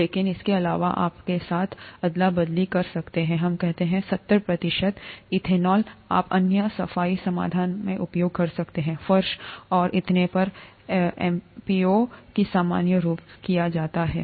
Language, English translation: Hindi, But in addition, you could swab with, let us say, seventy percent ethanol, you could use other cleaning solutions; mop the floors and so on so forth, that's normally done